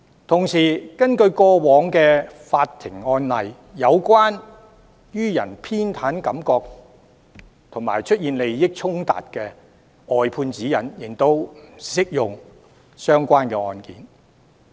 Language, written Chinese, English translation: Cantonese, 同時，根據過往的法庭案例，有關予人偏袒感覺及出現利益衝突的外判指引，亦適用於相關案件。, Meanwhile the briefing out guideline on addressing perception of bias or issues of conflict of interests is also applicable to other relevant cases as shown in previous court cases